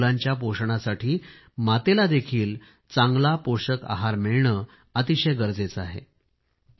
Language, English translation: Marathi, It is equally important that for children to be well nourished, the mother also receives proper nourishment